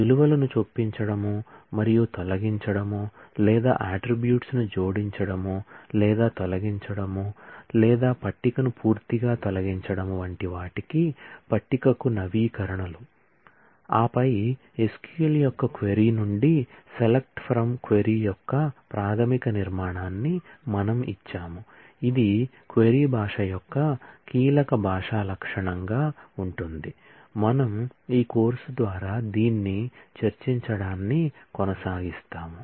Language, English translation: Telugu, And the updates to the table in terms of insertion and deletion of values or addition or deletion of attributes or removing a table altogether and then, we have given the basic structure of the select from where query of SQL, which will be the key language feature of a query language, that we will continue to discuss all through this course